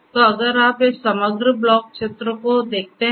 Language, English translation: Hindi, So, if you look at this overall block diagram